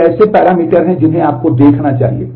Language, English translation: Hindi, So, these are the parameters that you must look at